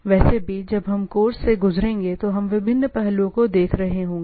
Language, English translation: Hindi, Anyway, we will, we will be looking at those different aspects when we go through the course